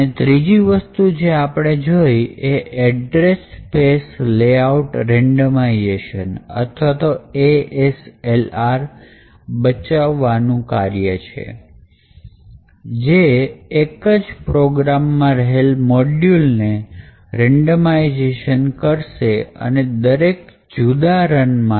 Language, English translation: Gujarati, The third thing that we also looked at was address space layout randomization or ASLR with this a countermeasure, what was possible was that the locations of the various modules within a particular program is randomized at each run